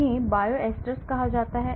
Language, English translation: Hindi, So, these can be called Bioisosteres